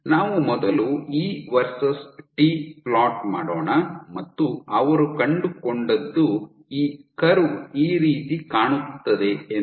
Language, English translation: Kannada, So, what they found let us first plot E versus T, and what they found was this curve looked something like this